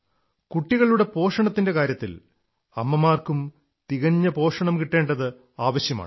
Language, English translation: Malayalam, It is equally important that for children to be well nourished, the mother also receives proper nourishment